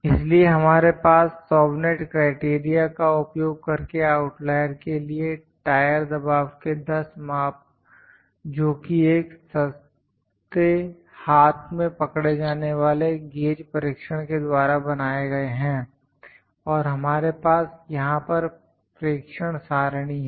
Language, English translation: Hindi, So, we have 10 measurements of a tire pressure made using an inexpensive hand held gauge test for the outliers using Chauvenet’s criterion 10 measurements, and we have this observation table here